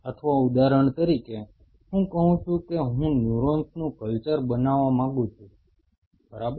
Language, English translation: Gujarati, Or say for example, I say I wanted to culture neurons great